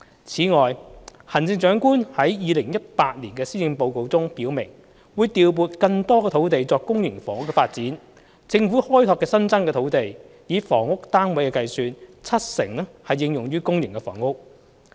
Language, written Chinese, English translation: Cantonese, 此外，行政長官亦於2018年施政報告中表明，會調撥更多土地作公營房屋發展，政府開拓的新增土地，以房屋單位計算，七成應用於公營房屋。, In addition the Chief Executive has indicated in the 2018 Policy Address that more land will be allocated to public housing development and 70 % of the housing units on the Governments newly developed land will be for public housing